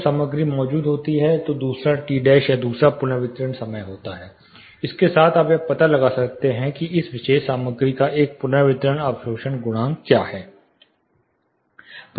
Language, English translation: Hindi, When the material is present there is a second T dash or the second reverberation time, with this you can find out what is a reverberation absorption coefficient of this particular material